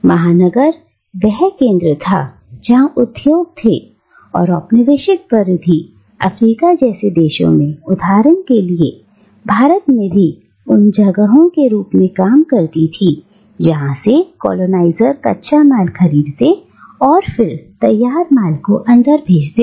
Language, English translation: Hindi, The metropolis was where the industry was concentrated in and the colonial periphery, places like Africa, for instance, or India, acted as, served as places from where the colonisers procured the raw materials and then dumped the finished goods in